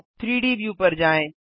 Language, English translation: Hindi, Go to the 3D view